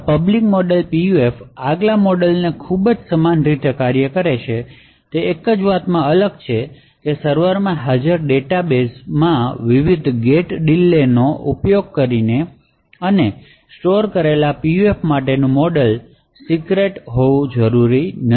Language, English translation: Gujarati, So, this public model PUF works in a very similar way, so except for the fact that the model for the PUF which is developed using the various gate delays and stored in the database present in the server does not have to be secret